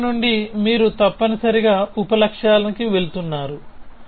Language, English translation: Telugu, So, from goals you are moving to sub goals essentially